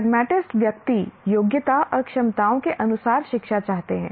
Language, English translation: Hindi, Pragmatists want education according to the aptitudes and abilities of the individual